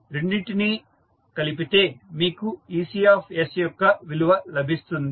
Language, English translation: Telugu, When you sum up both of them you will get the value of ecs